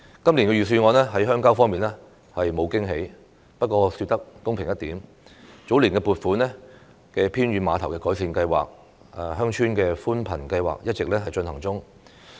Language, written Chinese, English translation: Cantonese, 今年預算案在鄉郊方面沒有驚喜，不過說得公平一點，早年撥款的偏遠碼頭改善計劃、鄉村寬頻計劃一直進行中。, The Budget this year offers no surprise in terms of rural development but to be fair an improvement programme for piers in remote areas and a broadband service scheme for villages for which the funding applications were both approved years ago have been undertaken on a continuing basis